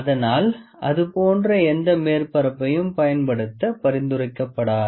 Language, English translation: Tamil, So, it is not recommended to use any surface like that